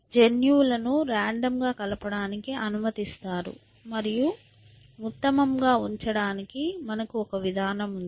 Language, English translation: Telugu, You allow for random mixing of genes and you have a mechanism for keeping the best